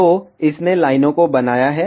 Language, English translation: Hindi, So, it has created the lines